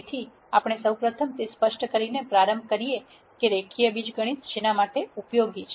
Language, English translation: Gujarati, So, we rst start by explaining what linear algebra is useful for